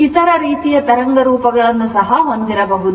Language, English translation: Kannada, Similarly, you may have other type of wave form